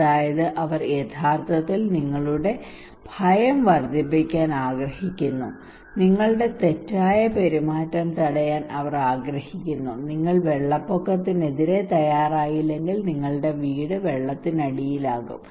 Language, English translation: Malayalam, That is they are actually want to increase your fear they want to stop your maladaptive behaviour if you do not prepare against flood then your house will be inundated